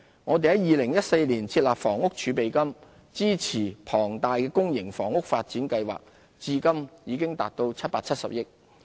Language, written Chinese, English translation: Cantonese, 我們在2014年設立房屋儲備金，支持龐大的公營房屋發展計劃，至今已達770億元。, The Housing Reserve which was established in 2014 to support large - scale public housing development programme now stands at 77 billion